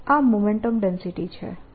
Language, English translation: Gujarati, this is momentum density